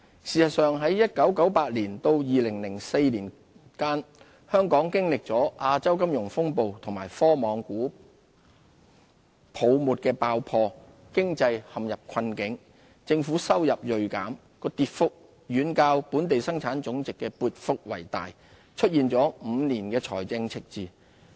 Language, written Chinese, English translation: Cantonese, 事實上，在1998年至2004年間，本港經歷了亞洲金融風暴和科網股泡沫爆破，經濟陷入困境，政府收入銳減，其跌幅遠較本地生產總值的跌幅大，出現5年財政赤字。, In fact from 1998 to 2004 when Hong Kongs economy was ensnared in difficulties during the Asian Financial Crisis and the IT bubble burst government revenue plunged far more sharply than that of GDP